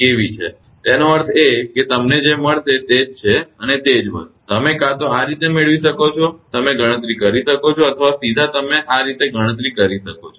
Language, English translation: Gujarati, So, it means same thing you will get this is and the same thing, you will get either this way you can compute or directly you can compute this way